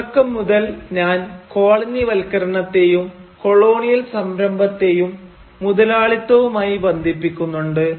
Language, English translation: Malayalam, So from the very beginning, I have been associating colonialism and colonial enterprise with capitalism